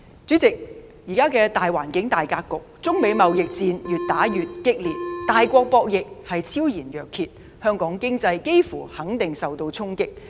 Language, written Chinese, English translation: Cantonese, 主席，在現時的大環境、大格局下，中美貿易戰越演越烈，大國博弈昭然若揭，香港經濟幾乎肯定受到衝擊。, President in the prevailing environment and landscape the China - United States trade war has been escalating clearly signifying a game between both great powers . It is almost certain that the Hong Kong economy will be impacted